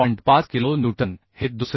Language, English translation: Marathi, 5 kilonewton and another is 454